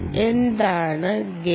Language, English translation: Malayalam, what is a gain